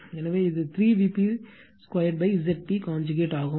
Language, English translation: Tamil, So, this is 3 V p square upon Z p your conjugate right